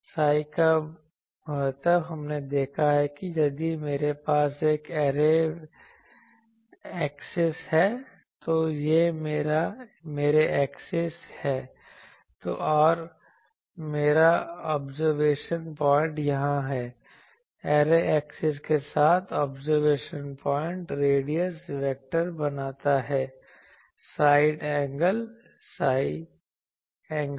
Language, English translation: Hindi, The significance of psi, we have seen that if I have an array axis, this is my array axis, and my observation point is here, the solid angle that the observation points radius vector makes with the array axis is psi angle psi that was our thing